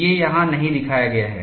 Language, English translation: Hindi, That is mentioned here